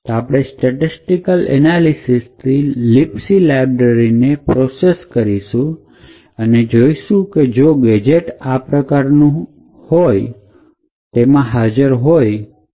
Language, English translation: Gujarati, So we would do a pre processing by statistically analysing the libc library and identify all the possible gadgets that are present in the library